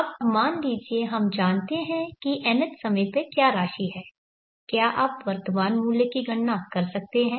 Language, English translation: Hindi, Now suppose we know what is the amount at the nth at the P at the nth time can you calculate the present worth of that